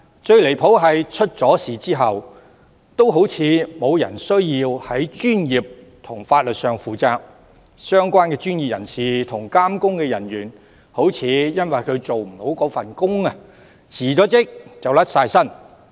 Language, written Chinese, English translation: Cantonese, 最離譜的是，出了岔子也好像沒有人需要在專業和法律上負責，相關專業人士和監工人員失職，似乎只須辭職就可以脫身。, What is most outrageous is that when something has gone wrong it seems no one needs to bear any professional or legal responsibility and the relevant professionals and supervisory officers at fault can get away by merely submitting resignations